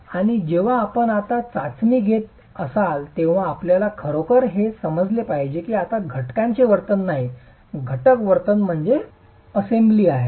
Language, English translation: Marathi, And when you are conducting the test now you really have to understand that it is no longer the component behavior or the constituent behavior